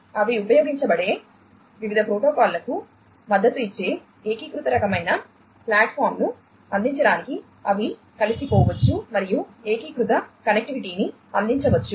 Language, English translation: Telugu, They could also be used they could be integrated together to offer an unified kind of platform supporting different protocols they could be used and unified connectivity can be offered